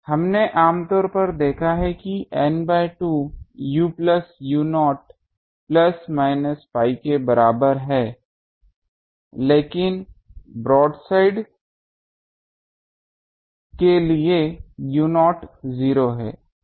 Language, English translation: Hindi, We have generally seen that N by 2 u plus u not is equal to plus minus pi, but for broadside u not is 0 so in this case u not 0